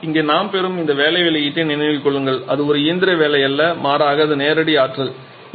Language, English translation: Tamil, But remember here this work output that we are getting that is not a shaft work rather it is direct electricity